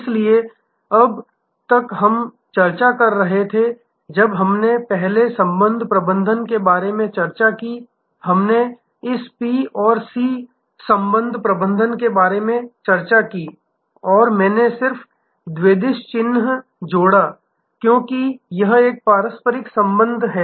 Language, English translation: Hindi, So, far we have been discussing, when we earlier discussed about relationship management, we discussed about this P to C relationship management and I just added bidirectional arrow, because it is an interactive relationship